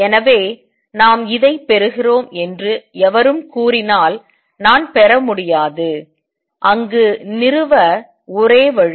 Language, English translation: Tamil, So, anybody who says that we are deriving this is I cannot be derived, the only way to establish there